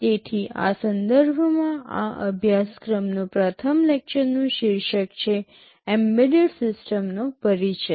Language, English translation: Gujarati, So, in this context the first lecture of this course, is titled Introduction to Embedded Systems